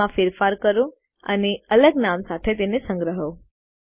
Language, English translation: Gujarati, Make changes to it, and save it in a different name